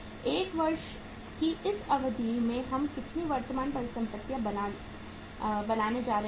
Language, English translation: Hindi, How much current assets we are going to build over this period of 1 year